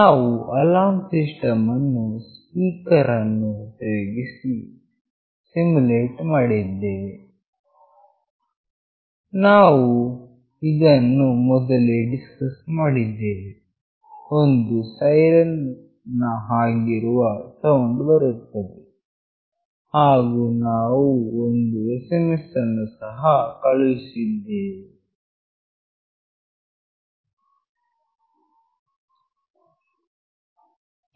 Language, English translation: Kannada, We have simulated the alarm system using the speaker that we have already discussed earlier; a siren like sound will come and we also sent an SMS